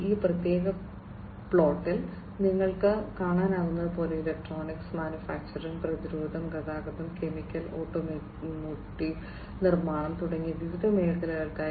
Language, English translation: Malayalam, And in this particular plot, as you can see, for different sectors electronics, manufacturing, defense, transportation, chemical, automotive, and construction